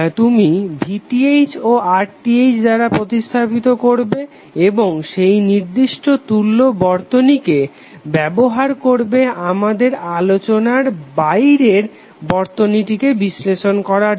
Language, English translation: Bengali, So you will replace with the VTh and RTh and you will use that particular equivalent circuit to analyze the circuit which is of your interest